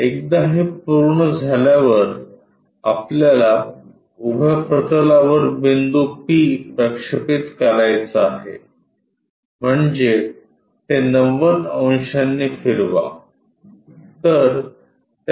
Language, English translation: Marathi, Once, it is done what we have to do project point p onto vertical plane, rotate it by 90 degrees